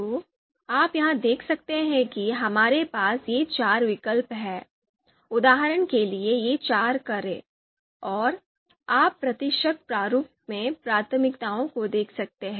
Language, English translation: Hindi, So you can see here that we have these four alternatives, for this example these four cars, and you can see the priorities in the percentage format, the priorities in the percentage format you can see here